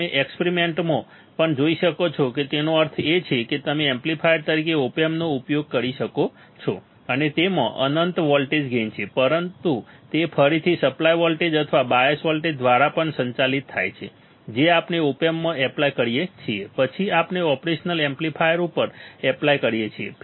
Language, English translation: Gujarati, You will see in the experiments also that means, you can use op amp as an amplifier and it has an infinite voltage gain, but that will again also is governed by the supply voltage or the bias voltage that we apply across the op amp then we apply across the operational amplifier